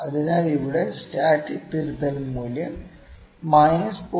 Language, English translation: Malayalam, So, the static correction value here is minus 0